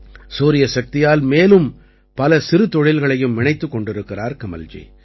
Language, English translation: Tamil, Kamalji is also connecting many other small industries with solar electricity